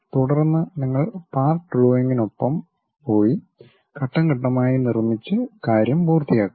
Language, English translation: Malayalam, Then, you go with part drawing construct it step by step and finish the thing